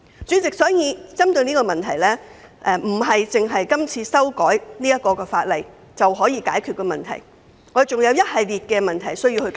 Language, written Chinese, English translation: Cantonese, 主席，有關問題並非單憑是次修改法例的工作便可獲得解決，還有一系列事宜需要處理。, President the problems cannot be resolved by amending the law alone as there are still numerous issues need to be dealt with